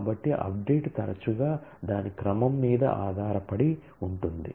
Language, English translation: Telugu, So, update often is dependent on the order